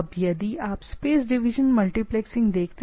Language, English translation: Hindi, Now, if you just look at the space division multiplexing